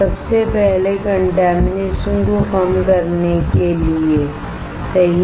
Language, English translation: Hindi, First is to reduce to reduce contamination, right